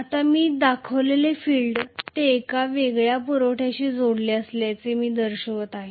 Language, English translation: Marathi, Now, the field what I have shown, I have shown it as though it is connected to a separate supply